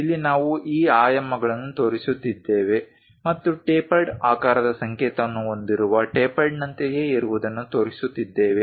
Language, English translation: Kannada, Here we are showing these dimensions and also something like a tapered one with a symbol of tapered shape